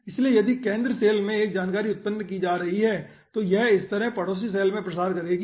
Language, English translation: Hindi, okay, so if 1 information is being generated in the center cell, it propagates in the neighboring cell in this pattern